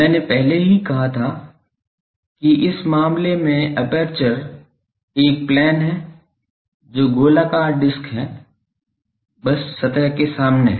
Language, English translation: Hindi, I already said that the aperture is a plane in this case which is circular disk, just in front of the surface